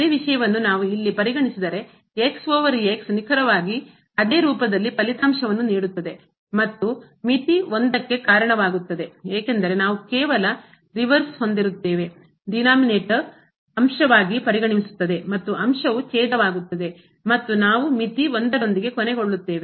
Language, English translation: Kannada, The same thing if we consider here square over x it will result exactly in the same form and will lead to the limit 1 because, we will have just the reverse the denominator will become numerator and numerator will become denominator and we will end up with limit 1